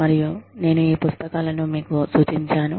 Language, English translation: Telugu, And, i have referred to, these books